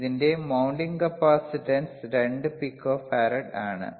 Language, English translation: Malayalam, iIt is mounting capacitance is 2 pico farad